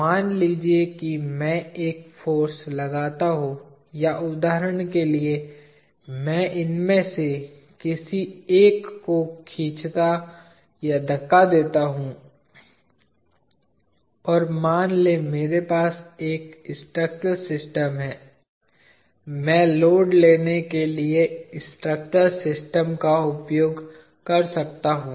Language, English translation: Hindi, Supposing I apply a force or for example, I pull or push at any one of these joints and I have a structural system, I can use the structural system in order to take loads